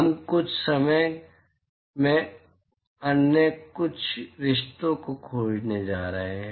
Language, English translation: Hindi, We are going to find a couple of other relationships in a short while